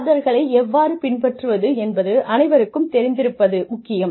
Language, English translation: Tamil, It is important for everybody to know, how to follow orders